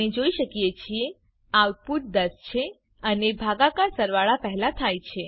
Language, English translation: Gujarati, As we can see, the output is 10 and the division is done before addition